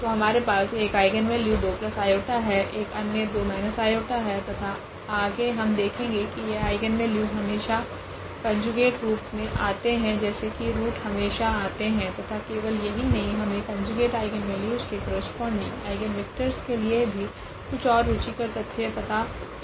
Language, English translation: Hindi, So, we have 1 eigen value 2 plus i another one is 2 minus i and we will see later on that these eigenvalues will always appear in conjugate form as the root always appears there and not only that we will have something more interesting for the eigenvectors corresponding to these conjugate eigenvalues